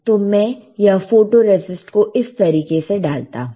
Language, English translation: Hindi, So, let me put photoresist like this